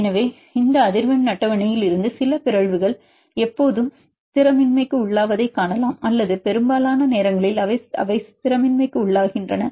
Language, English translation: Tamil, So, from this frequency table you can see that some mutations are always destabilizing or most of the times they are destabilizing